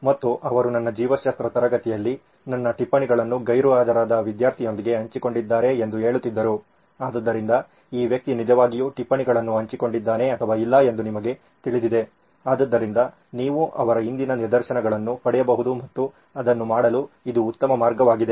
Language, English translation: Kannada, And they would say in my biology class I have shared my notes with guy who was absent, so then you know this guy is really shared the notes or not, so that way you can get instances from their past and that would be a great way to do it